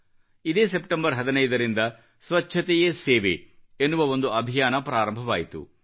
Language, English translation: Kannada, A movement "Swachhta Hi Sewa" was launched on the 15thof September